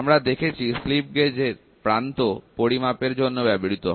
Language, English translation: Bengali, We studied the slip gauge for end measurement